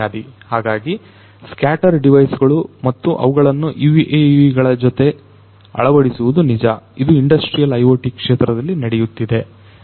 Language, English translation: Kannada, So, scatter devices and their integration with UAVs are also a reality that is happening in the industrial IoT sector